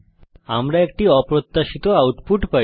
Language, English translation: Bengali, We get an unexpected output